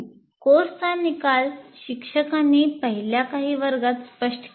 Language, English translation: Marathi, The course outcomes of the course are made clear in the first few classes by the teacher